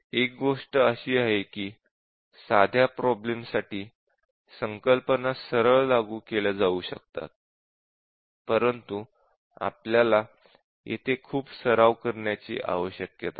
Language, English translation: Marathi, One thing is that for simple problems, the concepts are can be applied in straight forward, but then we need lot of practice here